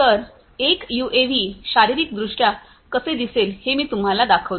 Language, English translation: Marathi, So, let me just show you how a UAV looks physically